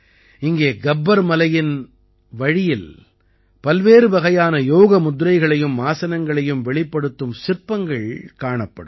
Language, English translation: Tamil, Here on the way to Gabbar Parvat, you will be able to see sculptures of various Yoga postures and Asanas